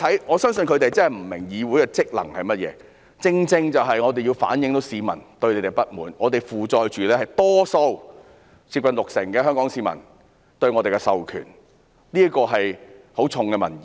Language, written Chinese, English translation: Cantonese, 我相信他們真的不明白議會的職能是甚麼，我們正正要反映市民對你們的不滿，我們承載着多數香港市民——是接近六成市民——對我們的授權，這是很重的民意。, I believe they really do not understand what the functions of a legislature are . We have to reflect the publics dissatisfaction with you . We are carrying the mandate of the majority of Hong Kong people―which is close to 60 % of the people